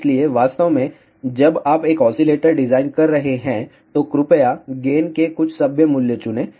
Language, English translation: Hindi, So, actually speaking when you are designing an oscillator, please choose some decent value of the gain